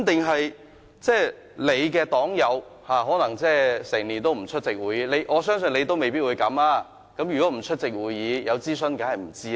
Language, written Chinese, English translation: Cantonese, 可能你的黨友整年都不出席會議，我相信你未必會這樣，但他們如不出席會議，當然不知道有進行諮詢。, Perhaps your party comrades are absent from the meetings all year round but I believe you might not . Of course they would not know anything about the consultations if they did not attend the meetings